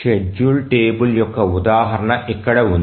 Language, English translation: Telugu, So, here is an example of a schedule table